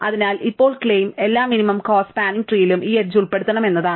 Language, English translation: Malayalam, So, now, the claim is that every minimum cost spanning tree must include this edge